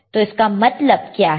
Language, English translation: Hindi, So, what is the formula